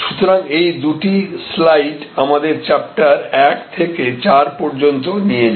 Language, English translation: Bengali, So, these two slides therefore take us from chapter 1 to chapter 4